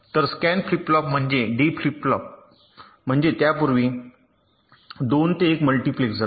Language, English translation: Marathi, so a scan flip flop is essentially a d flip flop with a two to one multiplexer before it